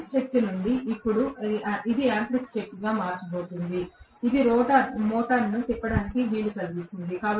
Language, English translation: Telugu, From electrical power now that is getting converted into mechanical power which is enabling the motor to rotate